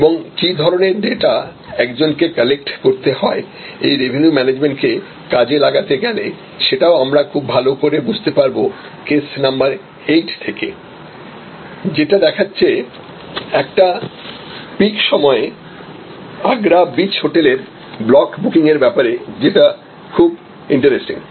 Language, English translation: Bengali, And the kind of data that one as to collect to make this to practice revenue management we will understand quite well if you study case number 8, which is the Agra beach hotel block booking of capacity during a peek period very interesting case